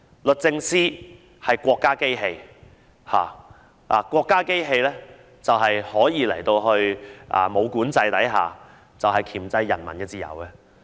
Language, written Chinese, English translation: Cantonese, 律政司是國家機器，國家機器可以在沒有管制的情況下箝制人民的自由。, DoJ is a state machine . A state machine under no control can clamp down on the freedoms of the people